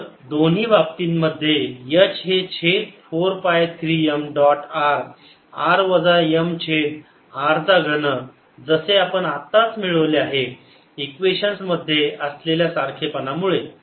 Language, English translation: Marathi, so h in both cases is one over four pi three m dot r r minus m over r cubed, as just derived because of the analogy of the equations